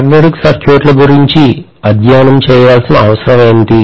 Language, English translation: Telugu, What is the necessity for studying about magnetic circuits